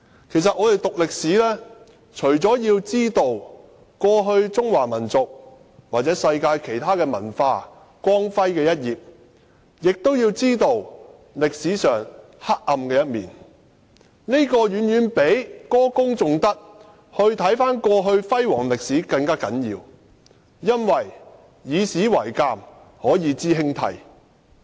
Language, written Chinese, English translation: Cantonese, 其實，我們讀歷史，除了要知道中華民族或世界其他文化過去光輝的一頁外，也要知道歷史上黑暗的一面，這遠比歌功頌德、回望過去輝煌的歷史更為重要，因為以史為鑒，可以知興替。, In fact when we study history we should not only learn the glorious past of the Chinese nation or other cultures of the world but also the dark side of history as this is more important than singing praises and looking back at the glorious achievements of the past . Learning from history helps one see behind the rise and fall of a dynasty